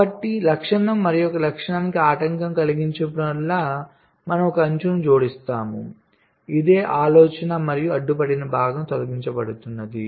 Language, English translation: Telugu, so whenever the features is obstructed by another features, we add an edge this is the idea and the obstructed part is removed